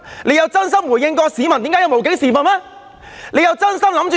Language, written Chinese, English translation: Cantonese, 有否真心回應市民對"無警時分"的控訴嗎？, Has he earnestly responded to the peoples complaint that there was a period of police absence?